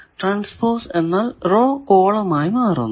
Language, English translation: Malayalam, Transpose means the row becomes column